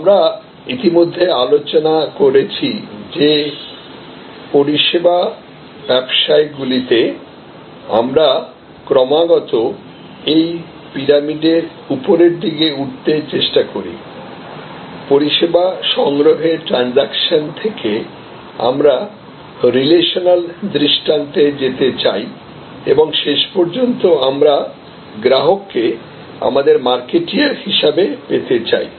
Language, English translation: Bengali, So, this we have already discussed that in services businesses we constantly try to go up this pyramid that from transactional instances of service procurement, we want to go to relational paradigm and ultimately we want our customer to become our marketer